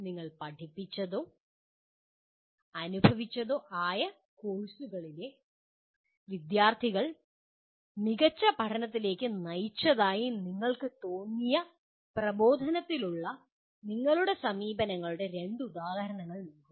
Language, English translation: Malayalam, Give two examples of your approaches to instruction you felt led to better learning by students in the courses you taught or experienced